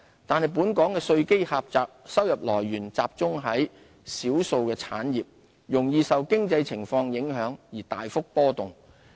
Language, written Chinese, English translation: Cantonese, 但本港稅基狹窄，收入來源集中在少數產業，容易受經濟情況影響而大幅波動。, We should be mindful of our narrow tax base concentration of revenue from a few industries and volatility of Governments revenue in response to economic fluctuations